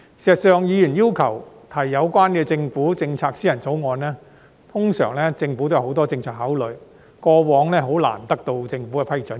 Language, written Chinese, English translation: Cantonese, 事實上，議員要求提出有關政府政策的私人條例草案，政府通常也有很多政策考慮，過往難以得到政府的批准。, In fact when a Member proposes to introduce a private bill relating to government policies the Government will usually have a lot of policy consideration . In the past it was difficult for such bills to be approved by the Government